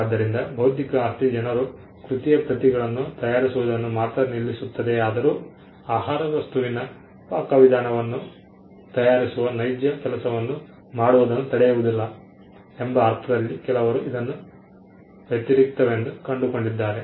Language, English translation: Kannada, So, some people have found this to be counterintuitive in the sense that though intellectual property only stops people from making copies of the work, it does not actually stop them from doing the real work which is making the recipe of a food item